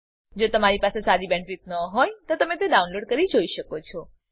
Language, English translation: Gujarati, If you do not have good bandwidth, you can download and watch the videos